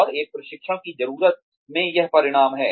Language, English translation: Hindi, And, that results in a training need